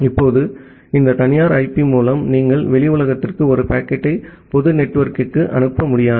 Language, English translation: Tamil, Now, with this private IP, you will not be able to send a send a packet to the outside world to the public network